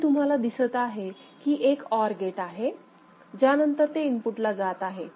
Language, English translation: Marathi, You can see there is an OR gate, then it is going to the input